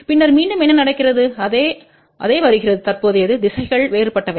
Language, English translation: Tamil, And then again whatever is the current coming in the same current is going just the directions are different